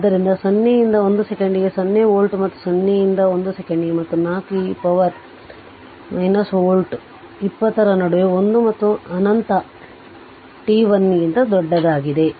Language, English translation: Kannada, So, 0 volt for t less than 0 and 40 volt for in between 0 and 1 second and 4 e to the power minus t to minus 1 volt in between 20 your what you call your between one and infinity t greater than 1 right